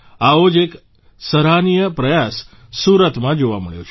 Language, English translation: Gujarati, One such commendable effort has been observed in Surat